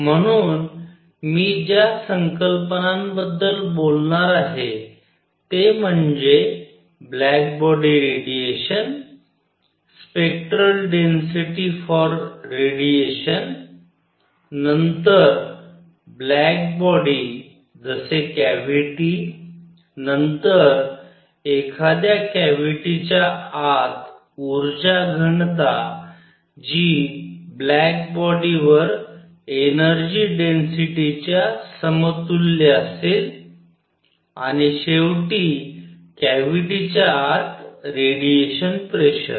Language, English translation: Marathi, So, what the ideas that I am going to talk about is black body radiation, spectral density for radiation, then black body as a cavity, then energy density inside a cavity which would be equivalent to energy density for a black body, and finally radiation pressure inside a cavity